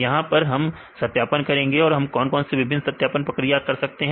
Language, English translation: Hindi, Now here we do the validation, what different validation procedures we need to do